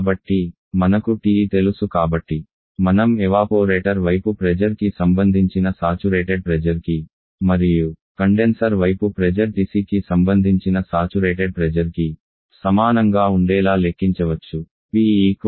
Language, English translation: Telugu, So as we know TE so we can calculate the evaporator site pressure to be equal to the saturation pressure corresponding to TE and condenser side pressure to be equal to the saturation pressure corresponding to TC